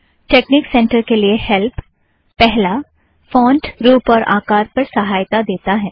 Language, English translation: Hindi, So help on texnic center, the first one gives you help on font, look and feel of texnic center